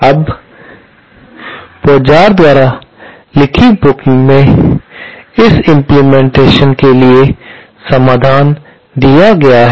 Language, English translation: Hindi, Now, in the book by Pozart, solution for this implementation is given